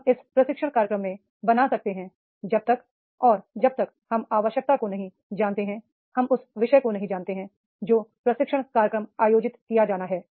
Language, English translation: Hindi, We cannot design a training program unless until we do not know the need, we do not know the topic, that is the what training program is to be conducted